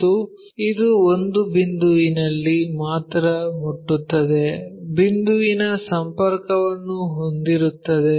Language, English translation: Kannada, And it touches only at one point, a point contact you will have